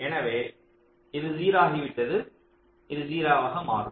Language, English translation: Tamil, so this has become zero, this will become zero